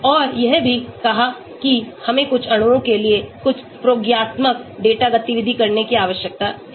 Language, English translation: Hindi, And also I said we need to have some experimental data activity for some molecules